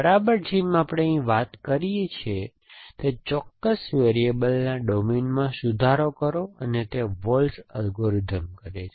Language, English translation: Gujarati, Exactly, like what we talked about here revise the domain of the particular variable and these up to waltz algorithm does essentially